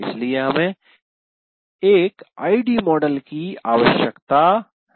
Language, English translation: Hindi, That's why we require an ID model like this